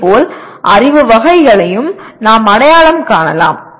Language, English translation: Tamil, And similarly we can also identify the knowledge categories